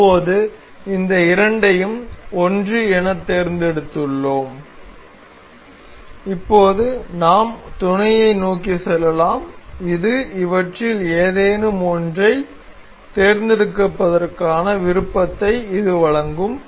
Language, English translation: Tamil, Now, we have control selected both of these as 1 and now we can go to mate, this will give us option to select any one of these